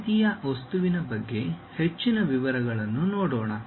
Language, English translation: Kannada, Let us look at more details about the symmetric object